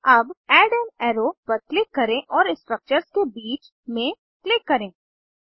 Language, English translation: Hindi, Now, click on Add an arrow and click between the structures